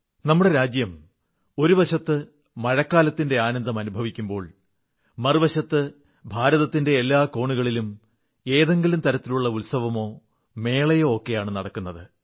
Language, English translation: Malayalam, On the one hand, these days, our country is enjoying the feast of rains; on the other, every corner of the country is celebrating festivals and fairs